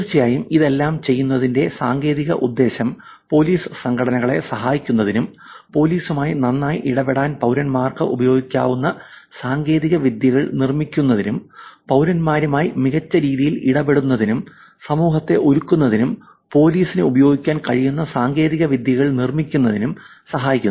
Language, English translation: Malayalam, And of course, the technical implications of doing all this is helping communities to help the police organizations, build technologies which can be used by citizens to interact with police better, build technologies that police can use for interacting with citizens better and making the society a safer place to live